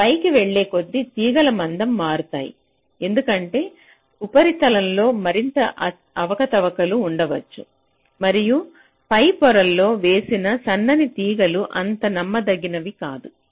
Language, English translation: Telugu, so as we go up, move up, the wires tend to become thicker because there will be more irregularity in the surfaces and laying out those thin wires on the higher layers will be not that reliable